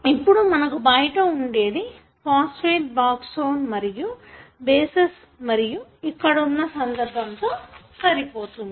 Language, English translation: Telugu, Now, what you have at the outside is the phosphate backbone, and then you have the bases and this is pretty much similar in other context as well